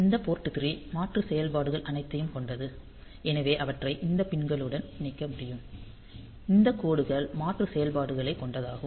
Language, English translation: Tamil, So, all those port 3 alternate functions that we have; so, they can be connected to this pins; this lines alternate functions